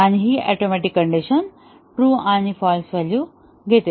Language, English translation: Marathi, And, this atomic condition as it takes true and false value